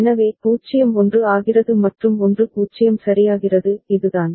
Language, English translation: Tamil, So, 0 becomes 1 and 1 becomes 0 right, this is the case